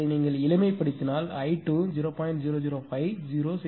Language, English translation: Tamil, If you simplify if you just simplify then i 2 will become 0